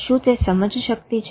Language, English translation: Gujarati, Is it cognition